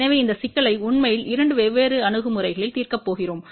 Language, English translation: Tamil, So, we are going to actually solve this problem in two different approaches